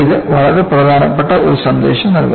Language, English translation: Malayalam, It conveys a very important message